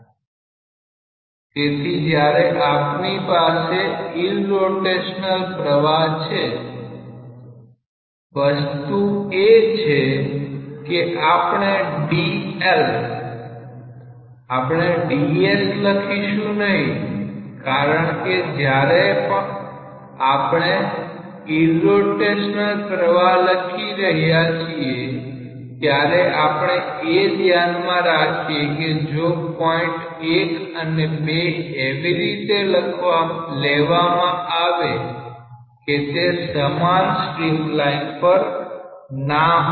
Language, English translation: Gujarati, So, when you have the irrotational flow, the thing is that dl we are not writing as ds because when we are writing irrotational flow, we are keeping in mind that if points 1 and 2 are taken such that they need not be along the same streamline